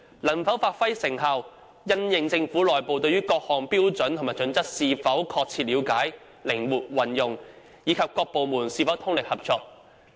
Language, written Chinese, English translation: Cantonese, 能否發揮成效，則因應政府內部對各項標準與準則是否確切了解、靈活應用，以及各部門是否通力合作。, The HKPSGs effectiveness depends on the proper understanding flexible application and cooperation within the Government